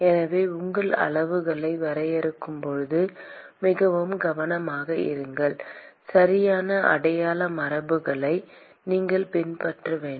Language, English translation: Tamil, So be very careful when you define your quantities, you have to follow the correct sign convention